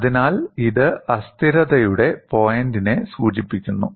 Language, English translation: Malayalam, So, this indicates the point of instability